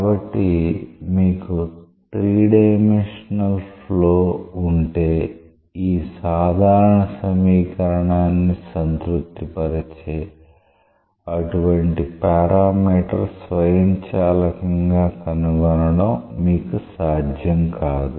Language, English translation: Telugu, So, if you had a 3 dimensional case; then you have not been possible to find out such a parameter automatically that satisfies this general equation